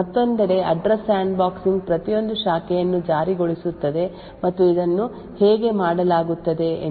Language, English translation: Kannada, The Address Sandboxing on the other hand enforces every branch and let us sees how this is done